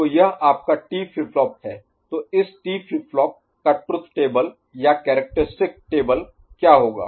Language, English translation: Hindi, So, this is your T flip flop ok, so this T flip flop then what would be it is truth table right or characteristic table